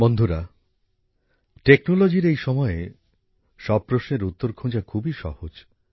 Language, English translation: Bengali, Friends, in this era of technology, it is very easy for you to find answers to these